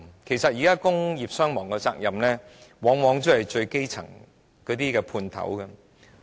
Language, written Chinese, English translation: Cantonese, 事實上，現時工業傷亡的責任，往往也是由那些最基層的"判頭"擔負。, At present the responsibility for industrial injuries and fatalities are often borne by elementary - level sub - contractors